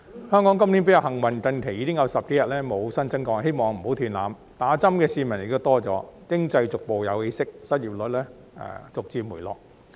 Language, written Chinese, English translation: Cantonese, 香港今年比較幸運，近期已經有10多天無新增個案，希望不要斷纜，打針的市民亦多了，經濟逐步有起色，失業率逐漸回落。, This year Hong Kong has been more fortunate . There have been no new cases for more than 10 days recently and I hope this trend will not be broken . As more people have received vaccination the economy is starting to pick up and unemployment rate is going down gradually